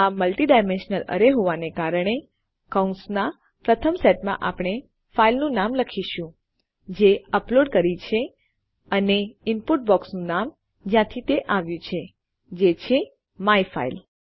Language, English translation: Gujarati, Since this is a multidimensional array, in the first set of brackets well type the name of the file that we have uploaded and the name of the input box from which it came from that is myfile